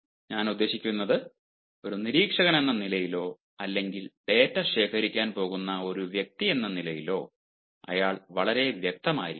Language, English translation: Malayalam, i mean, as an observer or as a person who is going to collect the data, he has to be very specific